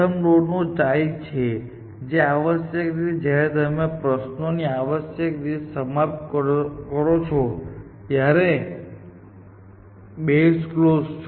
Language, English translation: Gujarati, The next node is just a child of first node essentially that a base clause when you terminate the questions essentially